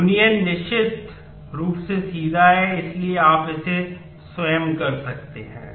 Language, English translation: Hindi, Union certainly straightforward, so you can do it yourself